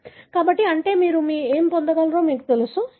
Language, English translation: Telugu, So, that is, you know, what you are able to get